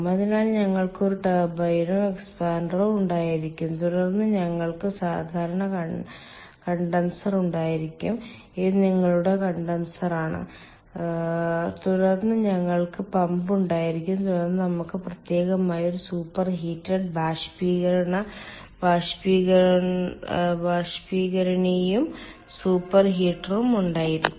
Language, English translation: Malayalam, then we will have usual condenser this is your condenser and then we will have the pump and then we can have separately, we can have some sort of a superheated evaporator and super heater